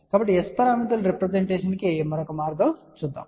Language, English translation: Telugu, So, it is just the another way of representation of S parameters